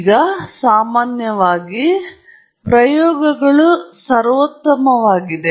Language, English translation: Kannada, Now, in general, the idea is that the experiments are supreme